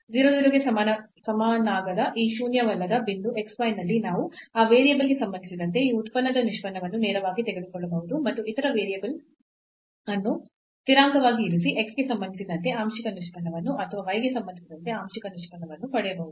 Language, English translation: Kannada, So, at this non zero point x y not equal to 0 0 we can get the derivative partial derivative with respect to x or partial derivatives with respect to y directly from directly taking derivative of this function with respect to that variable and keeping the other variable as constant